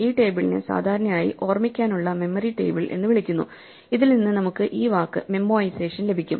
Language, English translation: Malayalam, This table is normally called a memory table to memorize; and from this, we get this word memoization